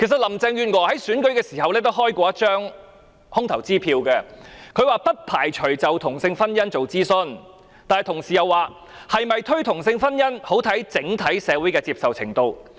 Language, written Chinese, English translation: Cantonese, 林鄭月娥在競選期間也開過一張空頭支票，她說不排除就同性婚姻進行諮詢，但同時又表示，是否推行同性婚姻，很視乎整體社會的接受程度。, Furthermore Carrie LAM had issued a blank check during the election campaign . She said she would not rule out the possibility of conducting a consultation on same - sex marriage but she also advised that the introduction of same - sex marriage depended greatly on the acceptance of society as a whole